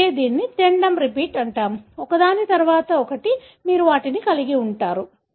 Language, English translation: Telugu, That’s why it is called as tandem repeat; one after the other, head to tail you have them